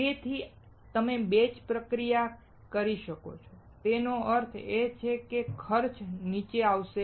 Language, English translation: Gujarati, So, you can do batch processing; that means, cost will come down